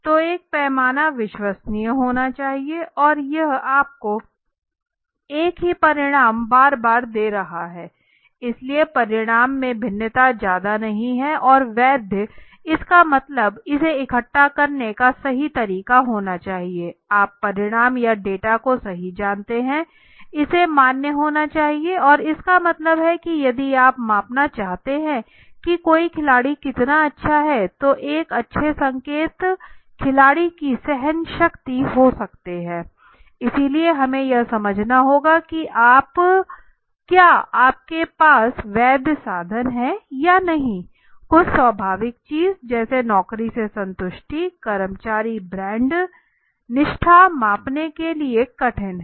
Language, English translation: Hindi, So a scale has to be reliable that means it is repeatedly giving you the same result again, again and again so the variation in the result is not much the deviation is not there right and valid means it has to be the right way of collecting the you know the result or the data right so it has to be valid that means if you want to measure how good somebody is a sports person one of the good indicator may be might be the stamina of the sports person right so we have to understand that what are you is the valid instrument or not right something or concepts which are inherently abstract in the nature job satisfaction more rather than employee brand loyalty are more difficult to measure the concepts which can be assigned as specific numerical value